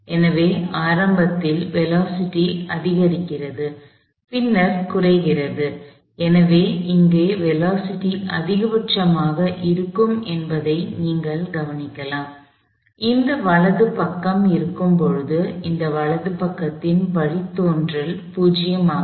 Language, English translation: Tamil, So, initially the velocity increases, and then decreases, so you can notice that, the velocity here would be maximum, when this right hand side is, when the derivative of this right hand side is a 0